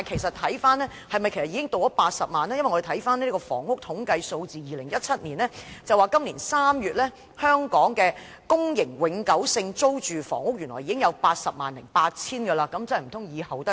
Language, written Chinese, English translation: Cantonese, 我們翻看2017年的房屋統計數字，資料顯示，今年3月，香港的公營永久性租住房屋原來已有 808,000 個。, We have checked the Housing in Figures 2017 . As shown by the information it turns out that in March this year there were already 808 000 permanent PRH units in Hong Kong